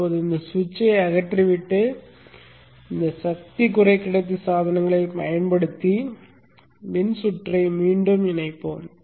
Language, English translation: Tamil, Now let us remove the switch and reconnect the circuit using these power semiconductor devices